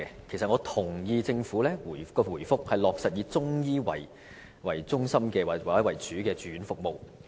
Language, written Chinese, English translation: Cantonese, 其實我同意政府的答覆，落實以中醫為中心或為主的住院服務。, Actually I approve of the Governments reply concerning the provision of inpatient services based on or led by Chinese medicine